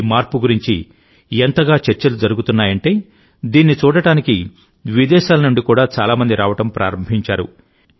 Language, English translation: Telugu, There is so much talk of this change, that many people from abroad have started coming to see it